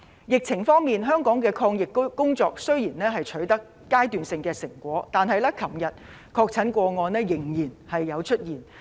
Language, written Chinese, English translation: Cantonese, 疫情方面，香港的抗疫工作雖然已取得階段性成果，但昨天仍然出現確診個案。, In the fight against the epidemic although we have achieved some kind of initial achievements there was still one confirmed case yesterday